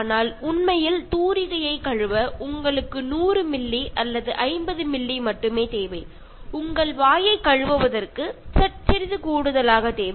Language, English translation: Tamil, But actually, you need only 100 ml or 50 ml to wash the brush and little bit for just washing your mouth